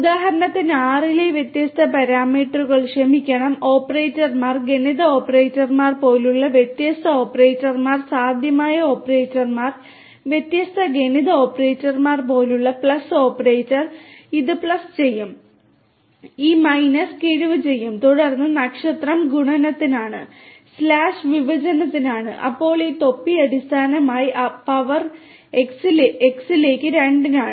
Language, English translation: Malayalam, For example, the use of different parameters sorry operators in R different operators such as arithmetic operators are possible operators such as different other different arithmetic operators such as the plus operator which will do the unary plus; unary plus, this minus will do the subtraction and then star is for multiplication, slash is for division then this cap is basically for power basically two to the power x will you know